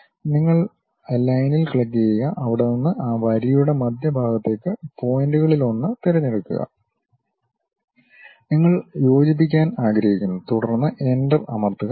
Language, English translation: Malayalam, You click the Line, pick one of the point from there to midpoint of that line, you would like to connect; then press Enter